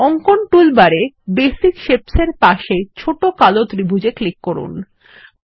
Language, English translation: Bengali, On the drawing toolbar, click on the small black triangle next to Basic Shapes